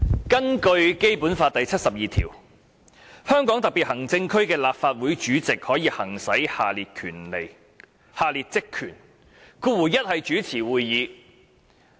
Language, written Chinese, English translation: Cantonese, 根據《基本法》第七十二條，香港特別行政區立法會主席可行使各項職權，第一款是主持會議。, According to Article 72 of the Basic Law the President of the Legislative Council of the Hong Kong Special Administrative Region SAR shall exercise various powers and functions and the first item is to preside over meetings